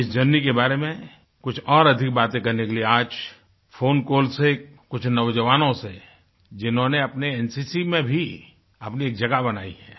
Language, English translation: Hindi, To discuss more about this journey, let's call up a few young people, who have made a name for themselves in the NCC